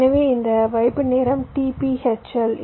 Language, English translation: Tamil, so this hold time is t p h l